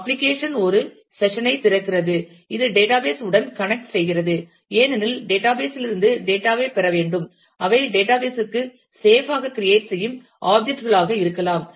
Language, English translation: Tamil, Application opens a session, which connects to the database because, we need to get the data from the database, they can be objects that can be created safe to the database